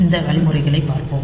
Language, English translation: Tamil, So, we will see these instructions